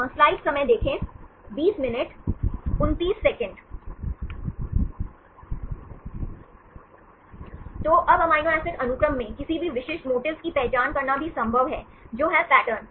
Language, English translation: Hindi, So, now in the amino acid sequence, it is also possible to identify any specific motifs are patterns